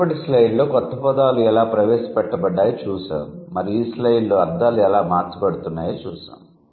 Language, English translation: Telugu, So, in the previous slide, we saw how the new words are introduced and in this slide we saw how the meanings are changed